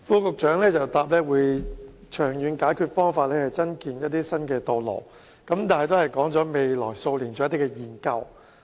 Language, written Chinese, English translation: Cantonese, 局長在答覆中表示，長遠解決方法包括增建一些新道路，但只表示會在未來數年進行研究。, Although the Secretary has indicated in the main reply that long - term solutions include the construction of new additional roads he has merely said that studies will be undertaken in the next several years